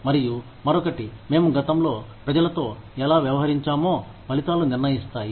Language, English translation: Telugu, And, in the other, the results determine, how we have treated people, in the past